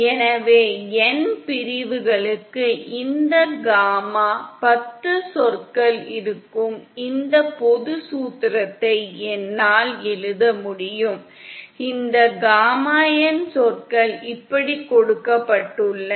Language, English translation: Tamil, So then for n sections I can write this general formula, where these gamma10 terms are, these gamma n terms are given like this